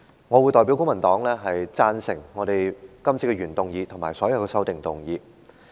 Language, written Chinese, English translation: Cantonese, 我會代表公民黨贊成原議案和所有修正案。, On behalf of the Civic Party I speak in support of the original motion and all the amendments